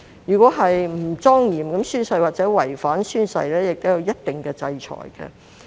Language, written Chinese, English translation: Cantonese, 如果不莊嚴地宣誓或違反宣誓，亦會有一定的制裁。, If a person fails to solemnly take the oath or breaches the oath he or she will certainly be censured